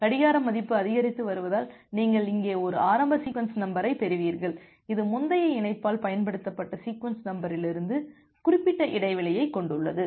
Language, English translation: Tamil, And because the clock value is increasing you will obviously get a initial sequence number here, which has certain gap from the sequence number filled which was used by the previous connection